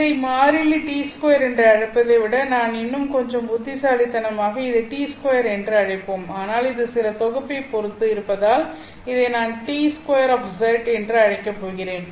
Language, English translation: Tamil, Rather than calling this as some constant d square, let us be little more clever and call this as t square, but because this would depend on z, I'm going to call this as t square of z